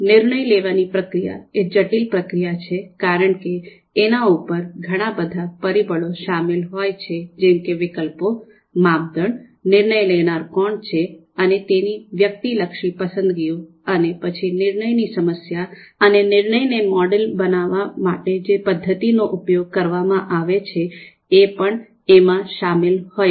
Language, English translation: Gujarati, So a decision making is a complex process as we have understood there are so many parameters involved: alternatives, criterias, and who is the decision maker and their subjective preferences and then the decision problem itself and then and then the method that we are going to use to you know you know to model this decision problem